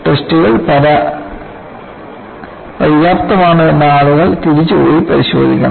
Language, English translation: Malayalam, So, people have to go back and re look whether the tests were sufficient